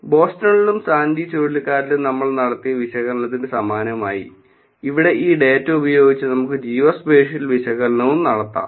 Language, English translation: Malayalam, Similar to the analysis that we did in Boston and Hurricane Sandy, we can do the geospatial analysis also with this data here